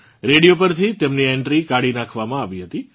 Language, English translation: Gujarati, His entry on the radio was done away with